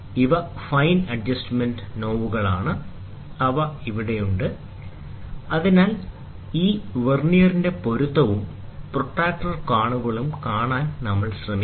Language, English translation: Malayalam, So, these are fine adjustment knobs, which are there; so that we try to see the matching of this Vernier and also the protractor angles